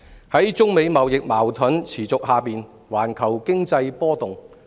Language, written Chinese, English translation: Cantonese, 在中美貿易矛盾持續下，環球經濟波動。, The global economy fluctuates as the trade conflict between China and the United States continues